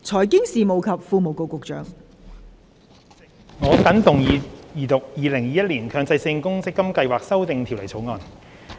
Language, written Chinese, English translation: Cantonese, 代理主席，我謹動議二讀《2021年強制性公積金計劃條例草案》。, Deputy President I move the Second Reading of the Mandatory Provident Fund Schemes Amendment Bill 2021 the Bill